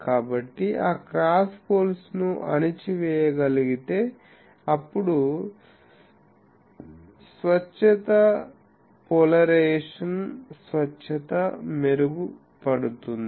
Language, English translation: Telugu, So, if that cross poles can be suppressed, then the purity polarization purity improves